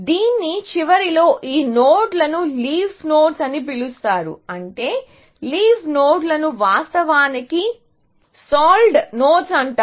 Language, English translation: Telugu, So, at the end of this, these nodes are called leaf nodes, I mean, the leaf nodes are actually, called solved nodes